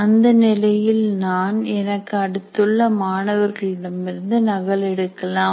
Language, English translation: Tamil, So to that extent I will just copy from my neighboring student